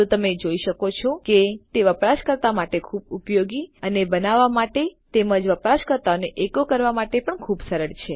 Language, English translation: Gujarati, So you can see that they are really very useful to use and really easy to create as well and easy to echo out the user